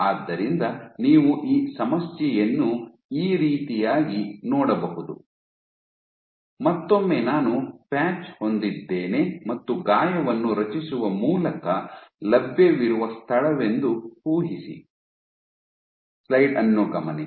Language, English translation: Kannada, So, you can look at this problem, imagine again I have a patch and imagine this is the space which is available by creating a wound